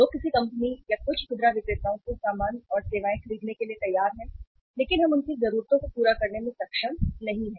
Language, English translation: Hindi, People are ready to buy the goods and services from some uh company or from some retailers but we are not able to serve their needs